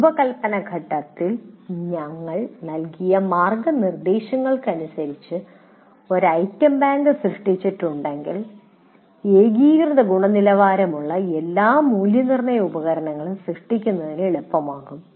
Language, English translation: Malayalam, If an item bank is created as per the guidelines that we have given in design phase, it becomes easier to create all assessment instruments of uniform quality